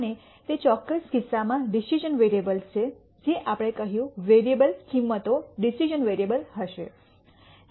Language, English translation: Gujarati, And there are the decision variables in that particular case we said the variable values are go ing to be the decision variable